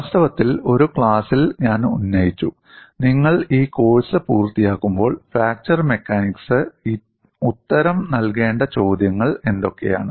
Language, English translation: Malayalam, In fact, in one of the classes I raised when you complete this course, what are the questions that fracture mechanics need to answer